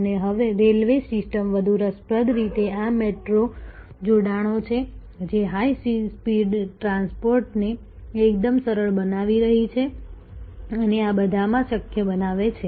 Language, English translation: Gujarati, And the railway system are more interestingly this metro linkages, which are making high speed transport quite easy and a possible across these